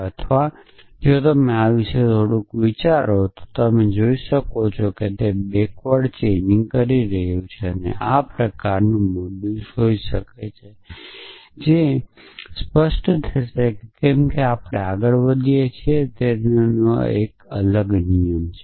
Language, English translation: Gujarati, Or if you think a little bit about this you can see that what backward chaining is the doing is this kind of modus may be that will become clearer as we move forward that is a different rule of infonants